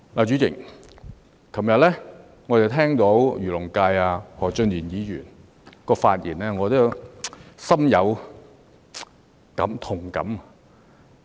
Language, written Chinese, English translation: Cantonese, 主席，我昨天聆聽了漁農界何俊賢議員的發言，心有同感。, President having heard the speech of Mr Steven HO who represents the agriculture and fisheries sector yesterday I have empathy with him